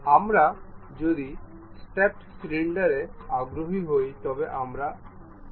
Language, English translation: Bengali, If we are interested in stepped cylinder what we have to do